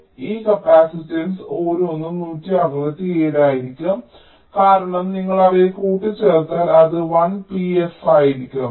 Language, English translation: Malayalam, so each of this capacitance will be one, sixty seven, because if you add them up it will be one, p, f